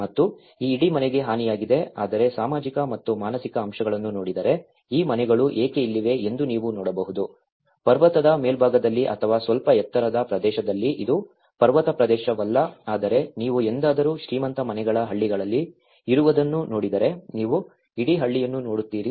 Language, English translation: Kannada, And this whole house has been damaged but then if you look at the sociological and psychological aspects why these houses are located here, on the top of the ridge or the top of a in a slightly higher area, itís not a mountain area but slightly but if you ever looked from the rich houses villages, you will see the whole entire village